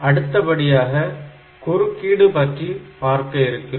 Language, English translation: Tamil, Next we will look into the interrupt